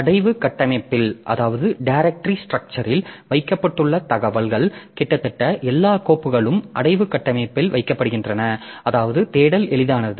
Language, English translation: Tamil, Information kept in the directory structure so almost all the files they are kept in some directory structure such that the search becomes easy